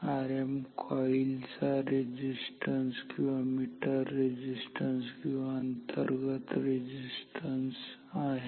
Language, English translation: Marathi, R m is the coil resistance or metal resistance or internal resistance